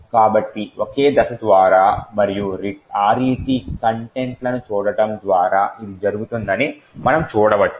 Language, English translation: Telugu, So, we can see this happening by single stepping and looking at the contents of RET